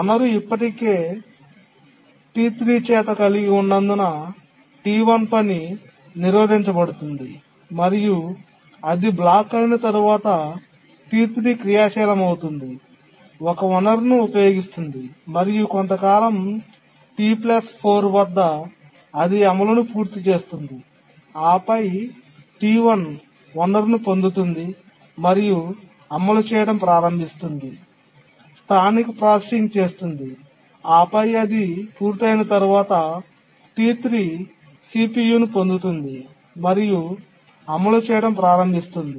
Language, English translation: Telugu, And once it gets blocked, T3 becomes active, uses the resource and after some time at T plus 4 it completes the execution and then T1 gets the resource starts executing does local processing and then after it completes then T3 gets the CPU and starts executing